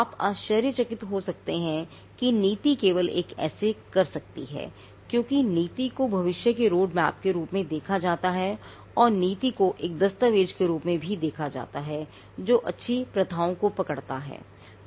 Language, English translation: Hindi, Now, you may wonder how just the policy can do that because the policy is seen as a road map to the future and the policy is also seen as a document that captures good practices